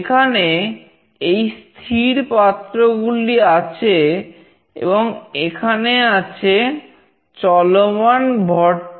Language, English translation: Bengali, Here we have these fixed plates, and here we have the moving mass